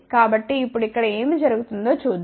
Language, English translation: Telugu, So, now, let us see what happens here